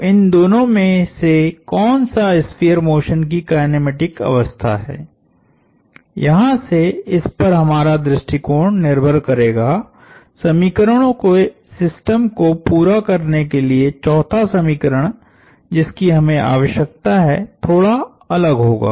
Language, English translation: Hindi, So, depending on which of these two is the kinematic state of the sphere motion, our approach from here on, the 4th equation which we need to complete the system of equations would be different